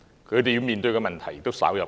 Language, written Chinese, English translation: Cantonese, 他們要面對的問題，亦稍有不同。, The problems faced by them are also slightly different